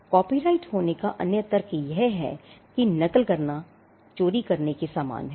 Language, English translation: Hindi, Another rationale for having copyright is that copying is treated as an equivalent of theft